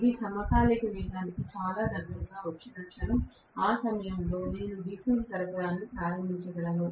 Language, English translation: Telugu, The moment it comes very close to the synchronous speed, at that point I can turn on the DC supply